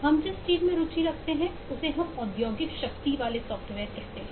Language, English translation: Hindi, what we are interested in is what eh we call is industrial strength software